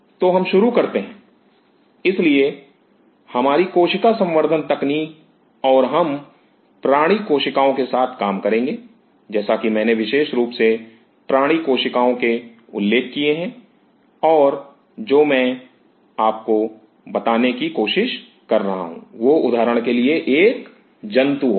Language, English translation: Hindi, So, we start off with; so, our cell culture technology and we will be dealing as I mentioned exclusively with animal cells and what I am trying to tell you is that say for example, from an animal